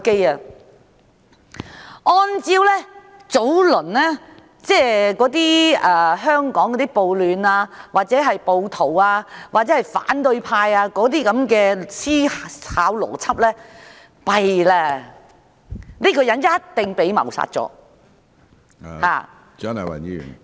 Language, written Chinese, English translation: Cantonese, 如果按照之前香港的暴徒或反對派的思考邏輯，糟糕了，這個人一定已被謀殺......, If we apply the previous logic of thinking of the rioters or opposition camp in Hong Kong how terrible this person must have been murdered